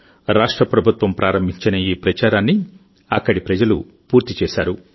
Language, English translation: Telugu, This campaign was started by the state government; it was completed by the people there